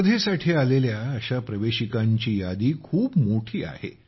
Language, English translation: Marathi, The list of such entries that entered the competition is very long